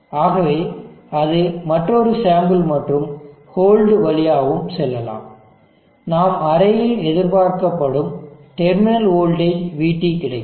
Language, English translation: Tamil, So let us that is also pass through the another sample and hole, we will get VT, the terminal voltage, what is expected of the array